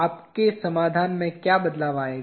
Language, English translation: Hindi, What will change in your solution